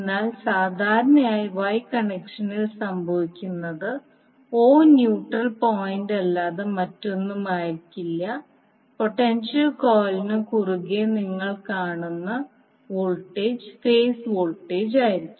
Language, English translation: Malayalam, But generally what happens in case of Y connected the o will be nothing but the neutral point so that the voltage which you seeacross the potential coil will be the phase voltage